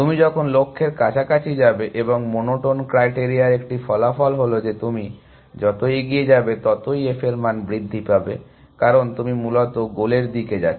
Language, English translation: Bengali, As you go closer to the goal and a consequence of monotone criteria was that f values increase as you go forward, as you go towards the goal essentially